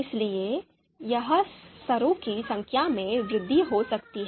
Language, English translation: Hindi, So that might lead to increase in the number of levels here